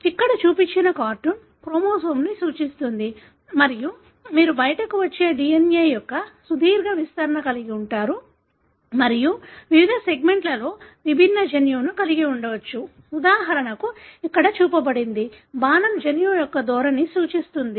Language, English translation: Telugu, The cartoon that is shown here represent a chromosome and you have a long stretch of DNA that comes out and different segment may have different gene like for example, one that is shown here; the arrow indicates the orientation of the gene